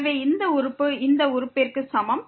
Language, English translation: Tamil, So, this term is equal to this term